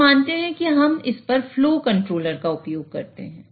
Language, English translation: Hindi, So, let us consider that we use the flow controller on this